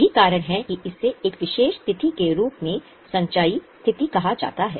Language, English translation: Hindi, That's why it has been called as a cumulative position as on a particular date